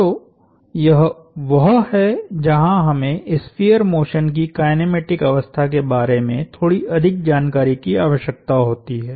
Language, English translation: Hindi, So, this is where we need a little more information on the kinematic state of the sphere motion